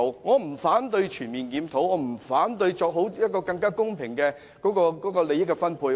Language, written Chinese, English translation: Cantonese, 我不反對全面檢討，亦不反對作更公平的利益分配。, I do not oppose a comprehensive review nor a more equitable distribution of interests